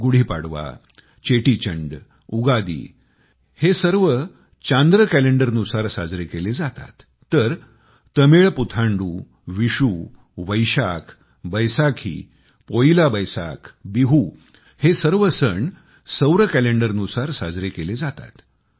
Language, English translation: Marathi, GudiPadva, Chettichand, Ugadi and others are all celebrated according to the lunar Calendar, whereas Tamil PutanduVishnu, Baisakh, Baisakhi, PoilaBoisakh, Bihu are all celebrated in accordance with solar calendar